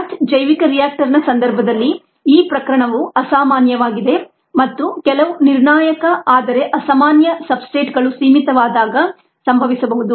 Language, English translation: Kannada, this cases rather uncommon in the case of a batch, a bioreactor, and can happen when some crucial but unusual substrate becomes limiting